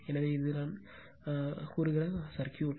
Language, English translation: Tamil, So, so this is the circuit I told you right